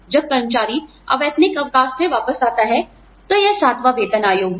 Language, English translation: Hindi, When the employee comes back from unpaid leave, it is seventh pay commission